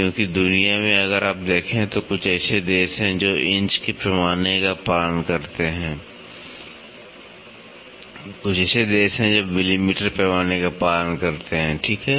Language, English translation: Hindi, Because, in the world if you see there are certain countries which follow inches scale, there are certain countries which follow millimetre scale, right